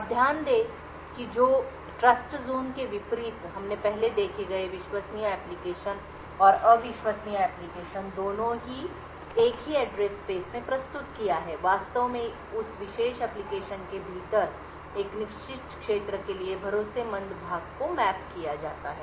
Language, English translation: Hindi, Now note that unlike the Trustzone we have seen earlier both the untrusted application and the trusted application are present in the same address space, in fact the trusted part is just mapped to a certain region within that particular application